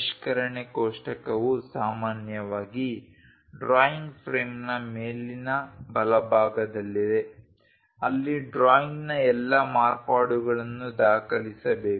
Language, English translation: Kannada, A revision table is normally located in the upper right of the drawing frame all modifications to the drawing should be documented there